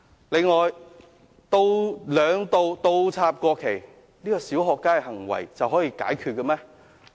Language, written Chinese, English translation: Cantonese, 此外，兩度倒插國旗，說這是"小學雞"行為就可以解決了嗎？, Moreover is inverting the national flag twice something that can be resolved simply by saying that it was a puerile act?